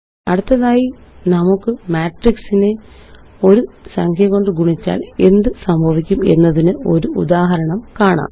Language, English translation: Malayalam, Next, let us see an example of multiplying a matrix by a number